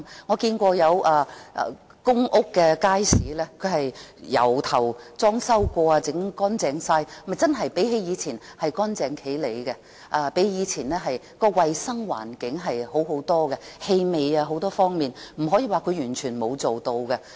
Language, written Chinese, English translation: Cantonese, 我見過有公屋的街市重新裝修和翻新過後，真的較以前整齊清潔，衞生環境更好，氣味等方面改善了，不可以說它甚麼也沒有做。, I have seen markets in public housing estates which really became tidier and cleaner than before after renovation and decoration . The hygiene condition has improved and things such as the smell problem have seen improvement . We cannot say that it has done nothing